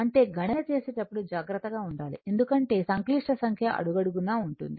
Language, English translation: Telugu, So, we have to be careful about the calculation because complex number is involved in every step